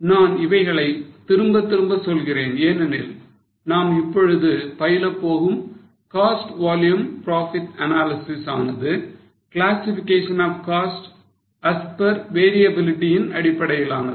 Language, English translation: Tamil, I am repeating all this again because what we are going to learn now that is cost volume profit analysis is mainly based on classification of cost as per variability